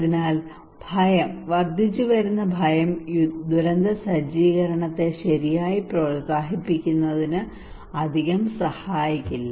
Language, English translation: Malayalam, So fear, increasing fear would not help much to promote disaster preparedness right